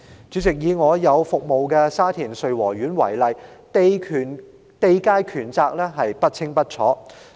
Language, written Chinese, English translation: Cantonese, 主席，以我服務的沙田穗禾苑為例，地界權責不清不楚。, President take Sui Wo Court of Shatin an estate which I serve as an example . The land boundaries power and liabilities are unclear